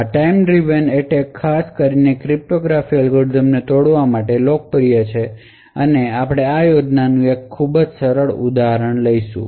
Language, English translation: Gujarati, So, these time driven attacks are especially popular for breaking cryptographic algorithms and we will take one very simple example of this scheme